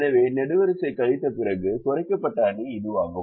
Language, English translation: Tamil, so this is the reduced matrix after the column subtraction